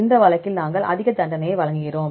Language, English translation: Tamil, In this case we give more penalty right